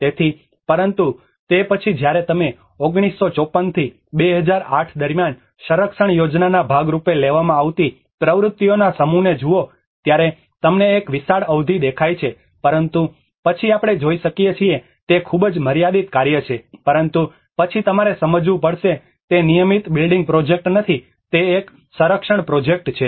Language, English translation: Gujarati, So, but then when you look at the set of activities which has been taken as a part of the conservation plan from 1954 to 2008 you see a huge span of time but then a very limited work what we can see but then one has to understand, it is not a regular building project, it is a conservation project